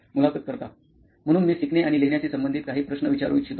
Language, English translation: Marathi, So I would like to ask a few questions related to learning and writing